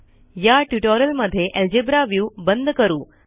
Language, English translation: Marathi, For this tutorial I will close the Algebra view